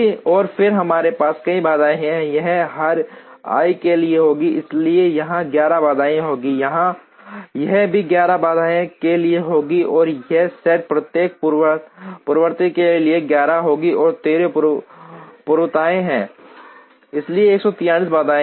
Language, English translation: Hindi, And then we have many constraints, this will be for every i, so this will be 11 constraints, this would also be for 11 constraints and this set will be 11 for each precedence and there are 13 precedence, so 143 constraints